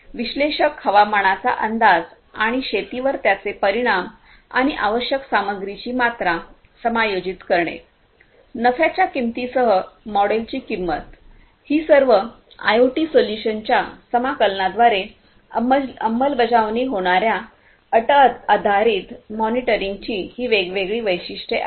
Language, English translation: Marathi, Analytics predicting weather and their impact on farming and adjusting the amount of required material, pricing models with profit margin; these are the different attributes of condition based monitoring which are going to be implemented through the integration of IoT solutions